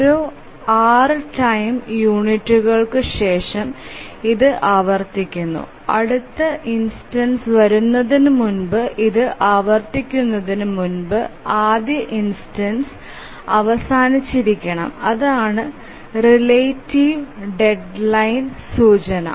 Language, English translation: Malayalam, So it repeats after every six time units and before it repeats, before the next instance comes, the first instance must have been over